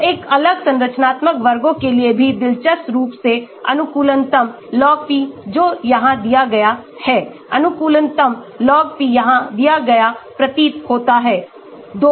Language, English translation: Hindi, So, for a different structural classes also interestingly the optimum log p that is given here, The optimum log p is given here seems to be 2